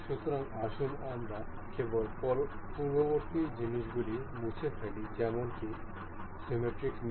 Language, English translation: Bengali, So, let us just delete the earlier ones; symmetric mate